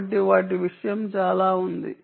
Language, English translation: Telugu, so that is a very important